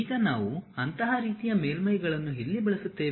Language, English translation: Kannada, Now, where do we use such kind of surfaces